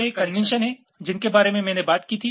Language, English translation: Hindi, ok, these are the conventions that i had talked about